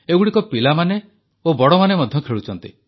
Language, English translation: Odia, These games are played by children and grownups as well